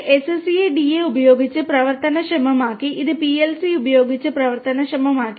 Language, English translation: Malayalam, It is enabled with SCADA, it is enabled with PLC